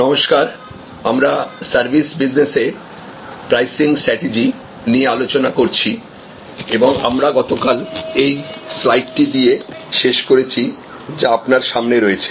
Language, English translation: Bengali, Hello, so we are discussing pricing strategies in services businesses and we concluded yesterday with this particular slide, which is in front of you